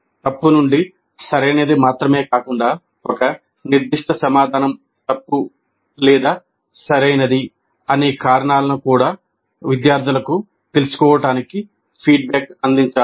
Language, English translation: Telugu, And feedback must be provided to help the students know not only the right from the wrong, but also the reasons why a particular answer is wrong are right